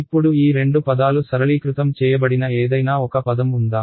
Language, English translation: Telugu, Now of these two terms is there any one term that gets simplified